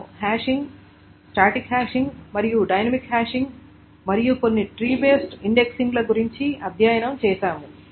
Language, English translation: Telugu, And we studied about hashing, static hashing and dynamic hashing and some tree based indexing